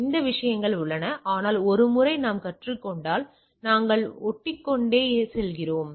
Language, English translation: Tamil, So, that things are there, but once we learn then we go on patching